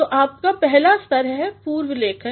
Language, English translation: Hindi, So, the first stage is pre writing